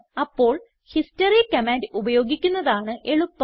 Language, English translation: Malayalam, A better way is to use the history command